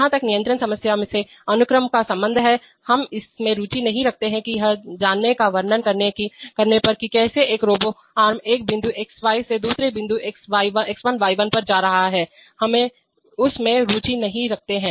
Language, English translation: Hindi, So as far as the sequence from control problem is concerned we are not interested in knowing or in describing on solving how a robo arm is moving from one point xy to another point x1y1, we are not interested in that